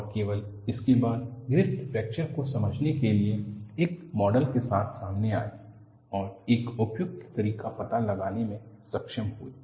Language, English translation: Hindi, And, only with this Griffith was able to find out a suitable way of explaining and coming out with a model for fracture